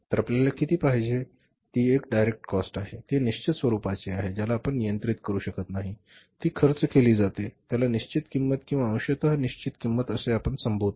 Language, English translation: Marathi, So, how much you want that is a direct cost, how much you cannot control once it is fixed, it is incurred, it is a fixed cost and there is a partly variable partly fixed